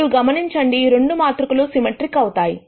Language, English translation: Telugu, And notice that both of these matrices are symmetric